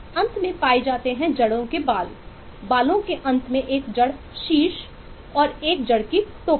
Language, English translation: Hindi, at the end of the hair there is a root apex and a root cap